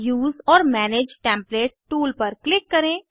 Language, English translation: Hindi, Click on Use or manage templates tool